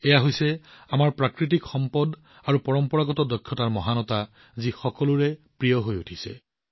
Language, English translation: Assamese, This is the very quality of our natural resources and traditional skills, which is being liked by everyone